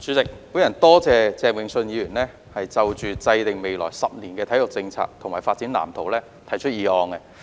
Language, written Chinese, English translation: Cantonese, 主席，我感謝鄭泳舜議員提出"制訂未來十年體育政策及發展藍圖"議案。, President I am grateful to Mr Vincent CHENG for proposing the motion on Formulating sports policy and development blueprint over the coming decade